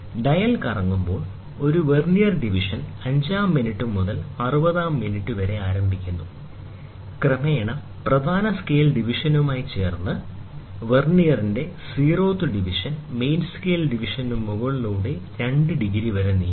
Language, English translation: Malayalam, As the dial rotates, a Vernier division starts from fifth minute up to 60th minute, progressively coinciding with the main scale division until the zeroth division of the Vernier moves over the main scale division by 2 degrees